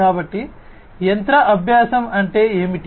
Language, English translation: Telugu, So, what is machine learning